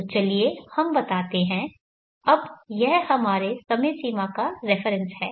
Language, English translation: Hindi, So let us say this is our time frame of reference now today